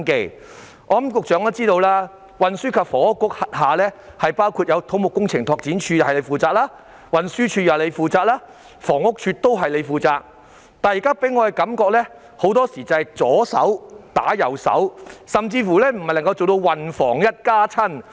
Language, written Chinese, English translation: Cantonese, 我相信局長也知道，運輸及房屋局轄下有土木工程拓展署、運輸署及房屋署，但這些部門給我的感覺很多時候是"左手打右手"，甚至未能做到"運房一家親"。, I believe the Secretary also knows that there are the Civil Engineering and Development Department the Transport Department and the Housing Department under the Transport and Housing Bureau THB . But these departments give me the impression that there is infighting among them and even the departments in charge of transport and housing cannot present a united front